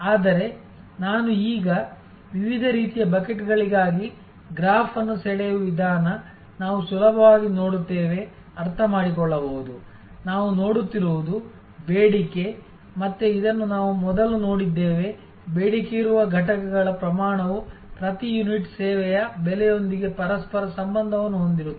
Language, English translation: Kannada, But, the way I just now drew the graph for different types of buckets, you can easily therefore, understand, that what we are looking at is, that the demand, again this we have seen earlier that the quantity of units demanded have a correlation with price per unit of service